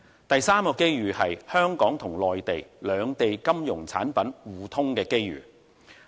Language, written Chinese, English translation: Cantonese, 第三個機遇，就是香港與內地金融產品互通的機遇。, The third opportunity is mutual market access for Hong Kong and Mainland financial products